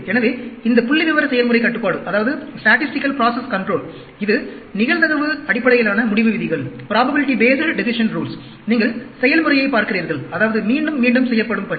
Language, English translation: Tamil, So, this statistical process control, this is a probability based decision rules, you are looking at the process; that means, any repetitive task